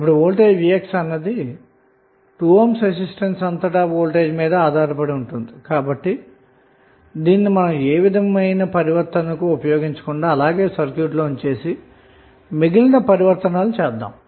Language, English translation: Telugu, Now, Vx the voltage across this is depending upon the voltage source value is depending upon the voltage across 2 ohm resistance so, we cannot use this for any transformation we have to keep it like, this in the circuit, and rest of the transformations we can do